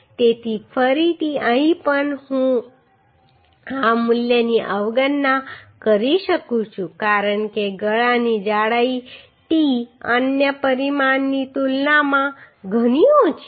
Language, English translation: Gujarati, So again here also I can neglect this value because the throat thickness t is quite less compared to other dimension